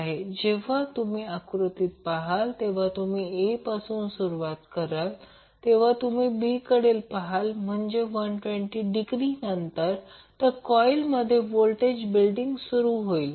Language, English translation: Marathi, So, when, when you see in this figure if you start from A then if you move to B that means that after 120 degree the voltage will start building up in the coil